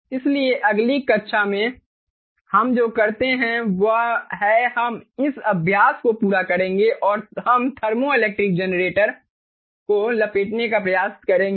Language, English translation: Hindi, ok, so in the next class we what we will do is we will complete this exercise and we will try to wrap up thermoelectric generators